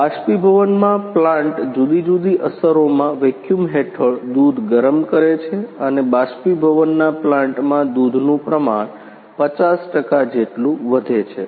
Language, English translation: Gujarati, In evaporation plant milk is heating under a vacuum in a different effects and concentration of milk is increased up to the 50 percent in evaporation plant